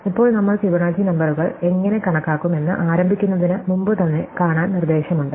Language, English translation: Malayalam, Now, it is instructive to see even before you begin how we would numerate the Fibonacci numbers